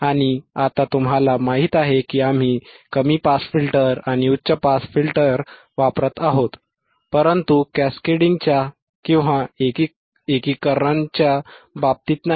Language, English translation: Marathi, And now you know that, we are using the low pass filter and high pass filter, but not in terms of cascading